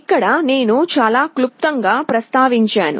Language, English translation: Telugu, So here I mentioned it very briefly